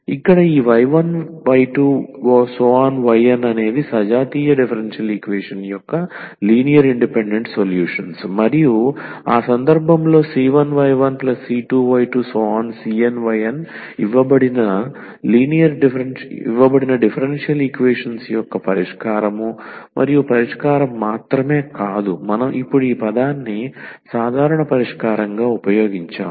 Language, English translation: Telugu, So, here the generalization that this y 1 y 2 y 3 be n linearly independent solutions of the homogeneous differential equation and in that case the c 1 y 1 plus c 2 y 2 and so on c n y 1 c n y n will be also the solution of the given differential equation and not only the solution we have used now this term the general solution